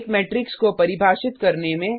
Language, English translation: Hindi, Define a matrix